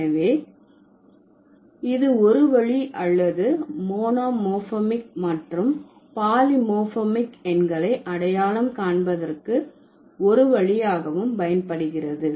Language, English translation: Tamil, So, that's one way of finding out or one way of, one way of identifying the monomorphic versus polymorphic numerals